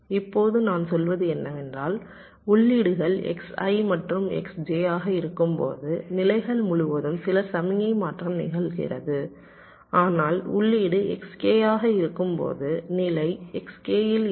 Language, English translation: Tamil, now what i am saying is that when the inputs are x i and x j, then some signal transition across states are happening, but when the input is x k, the state remains in s k